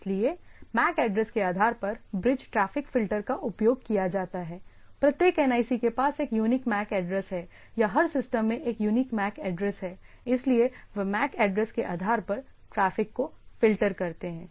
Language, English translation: Hindi, So, bridge filter traffic based on the MAC address; that means, as every NIC have a unique MAC address or every system has a unique MAC address, so, they filter traffic based on the MAC address